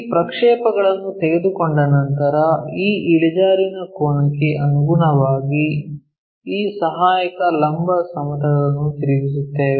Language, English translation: Kannada, Once we take these projections we flip this auxiliary vertical plane in line with this inclination angle